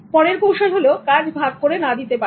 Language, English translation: Bengali, The next one is not delegating work